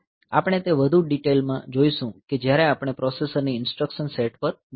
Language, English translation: Gujarati, So, we will see that in more detail the actual instruction when we can go to the instruction set of the processor